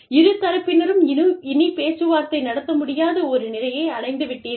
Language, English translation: Tamil, You say, you reach a point, where both parties, cannot negotiate, any further